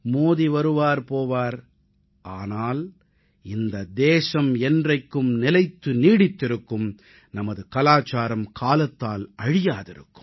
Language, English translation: Tamil, Modi may come and go, but this country will never let go of its UNITY & permanence, our culture will always be immortal